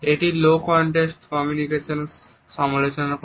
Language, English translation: Bengali, What is the low context culture